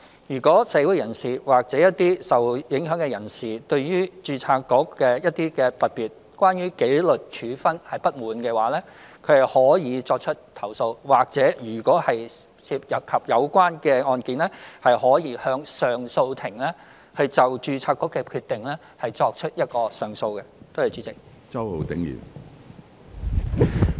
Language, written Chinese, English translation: Cantonese, 如果社會人士或受影響人士對註冊局的工作——特別是關於紀律處分——有所不滿，他們可以作出投訴，或者如果涉及有關案件，亦可就註冊局的決定向上訴法庭提出上訴。, If any members of the public or persons affected are dissatisfied with the work of the Board particularly in respect of disciplinary action they may lodge complaints or if they are involved in the case concerned they may appeal to the Court of Appeal against the decision of the Board